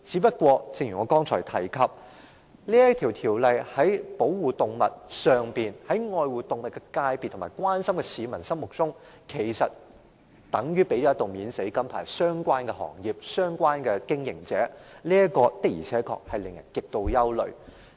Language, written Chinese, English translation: Cantonese, 然而，正如我剛才提及，修訂後的條例，在愛護動物的界別和關心動物的市民眼中，其實等於向相關行業和經營者發出一道"免死金牌"，這確實令人極度憂慮。, Yet as I alluded to just now in the eyes of animal lovers and people who care about animals the enactment of the amended regulations actually amounts to the granting of immunity to the relevant trade and operators . This is extremely worrying